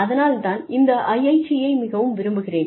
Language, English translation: Tamil, And, that is why, I love my IIT